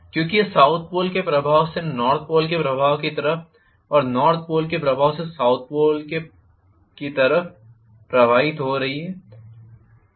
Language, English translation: Hindi, Because it is drifting from South Pole influence to North Pole influence and North Pole influence to South Pole influence